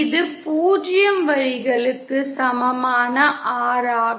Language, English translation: Tamil, And this is the R equal to 0 line